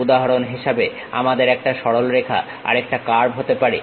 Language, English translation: Bengali, For example, we can have one is a straight line other one is a curve